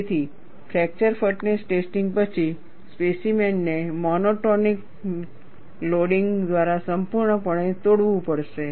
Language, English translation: Gujarati, So, after a fracture toughness testing, the specimen has to be broken completely, by a monotonic loading